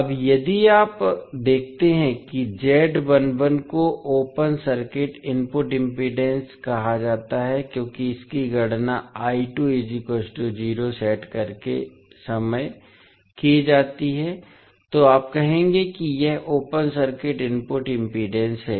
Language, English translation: Hindi, Now, if you see Z11 is called as a open circuit input impedance because this is calculated when you set I2 is equal to 0, so you will say that this is open circuit input impedance